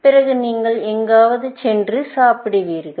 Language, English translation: Tamil, Then, you will go and eat somewhere